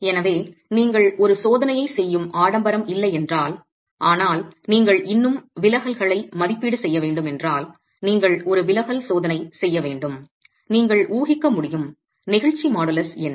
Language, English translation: Tamil, So, well, if you do not have the luxury of doing a test, but you still need to make an estimate of the deflections, you need to do a deflection check, what is the model of elasticity that you can assume